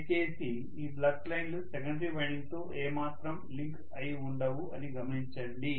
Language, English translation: Telugu, Please note that these flux lines are not linking with the secondary winding at all